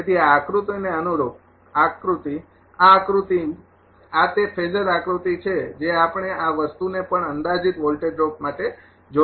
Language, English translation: Gujarati, So, corresponding to this diagram figure a this diagram this is the phasor diagram we have seen also for approximate voltage drop this thing